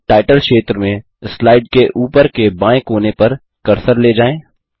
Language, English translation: Hindi, Now move the cursor to the top left corner of the slide, in the Title area